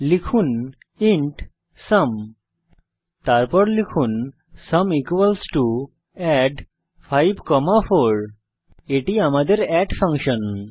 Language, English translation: Bengali, Type int sum Then type sum = add(5,4) Here we call the add function